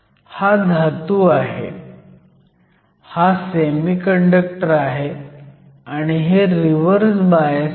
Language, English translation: Marathi, So, this is the metal, this is the semiconductor, so this is Reverse bias